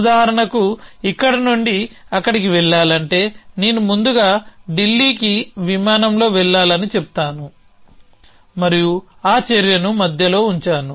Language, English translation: Telugu, So, if at to go from here to there on for example, I would to say I need to flight to Delhi first and I put that action in between